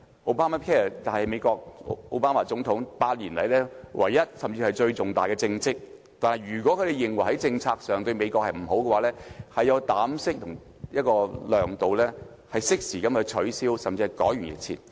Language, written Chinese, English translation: Cantonese, Obamacare 是美國總統奧巴馬8年來唯一，甚至是最重大的政績，但如果他們認為在政策上對美國不利，便要有膽識和量度，適時取消這項政策，甚至改弦易轍。, Obamacare is the only one or even the most significant achievement accomplished by United States President OBAMA after eight years in office . However if Donald TRUMP considers it harmful to the States he should have the audacity and the character to timely repeal the policy or even altering the whole course